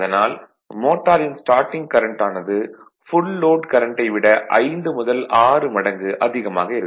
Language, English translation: Tamil, I told you there for the motor current at starting can be as large as 5 to 6 times the full load current